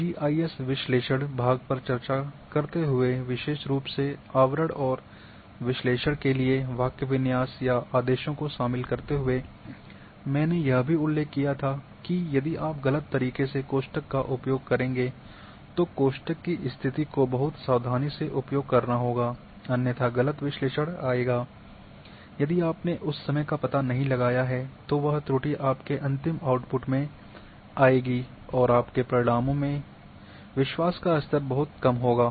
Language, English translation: Hindi, While discussing the GIS analysis part especially in overlay and putting the syntax or the commands for analysis,I also mentioned that, if you wrongly use the brackets then position of brackets have to be very carefully done, otherwise wrong analysis will come, if you have not detected at that time then that error will come in your final outputs and your results will have very less level of confidence